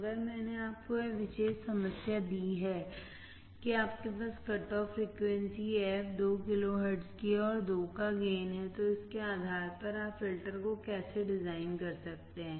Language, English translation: Hindi, If I gave you this particular problem that you have a cut off frequency fc of 2 kilohertz and gain of 2, based on that how you can design the filter